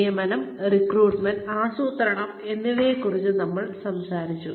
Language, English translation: Malayalam, We have talked about hiring, recruiting, planning